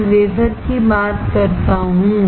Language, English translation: Hindi, I am talking about the wafer